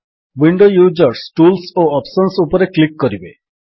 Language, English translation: Odia, windows users should click on Tools and Options